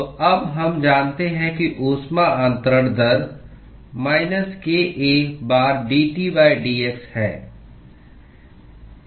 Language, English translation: Hindi, So, now we know that heat transfer rate is given by minus kA times dT by dx